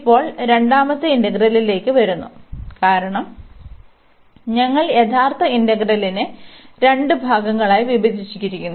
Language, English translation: Malayalam, Now, coming to the second integral, because we have break the original integral into two parts